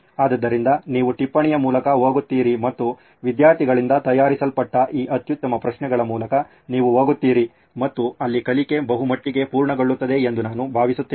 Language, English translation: Kannada, So you go through the note and you go through these best set of questions that are prepared by students and I think the learning would be pretty much complete there